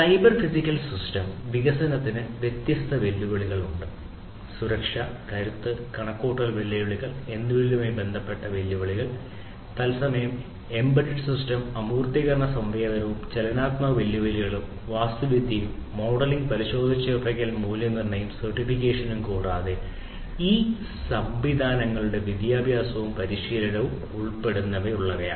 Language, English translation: Malayalam, So, there are different challenges of cyber physical system development; challenges with respect to safety, security, robustness, computational challenges real time embedded system abstractions sensing and mobility challenges are there architecture and modeling verification validation and certification and including education and training of these systems